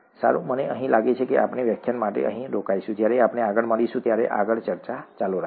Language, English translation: Gujarati, Fine, I think we will stop here for this lecture, we will continue further when we meet next